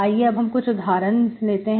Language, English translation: Hindi, Let us do some examples